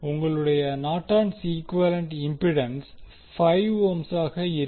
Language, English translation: Tamil, Your Norton’s equivalent impedance is 5 ohm